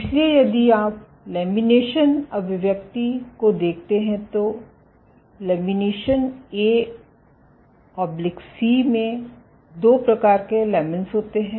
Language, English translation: Hindi, So, if you look at lamin expression so there are two types of lamins in you having lamin A/C